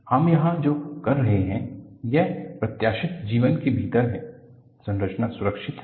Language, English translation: Hindi, What we are saying here is, within the life that is anticipated, the structure is safe